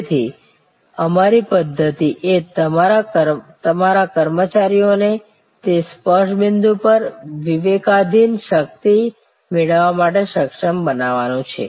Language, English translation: Gujarati, So, your system is to empower your employees to be able to have discretionary power at those touch points